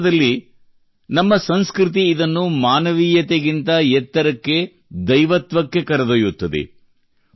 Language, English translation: Kannada, In fact, our culture takes it above Humanity, to Divinity